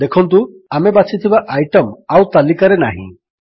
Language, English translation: Odia, We see that the item we chose is no longer on the list